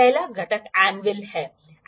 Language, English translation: Hindi, The first component is the anvil